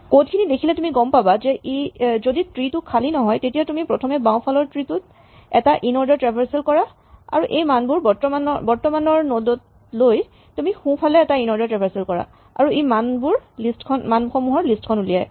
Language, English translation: Assamese, If you see the code you can see that if the tree is not empty you first do an inorder traversal of the left self tree then you pick up the value at the current node and then you do an inorder traversal of the right self tree and this produces the list of values